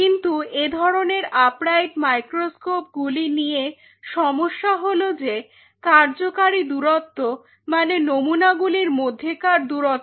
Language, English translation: Bengali, But the problem with such upright microscopes are the working distance means, this distance between the sample